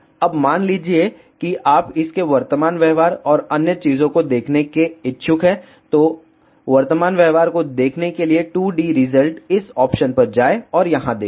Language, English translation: Hindi, Now, suppose if you are interested to it is see it is current behavior and other things, so to see the current behavior go to 2D results go to this option and check here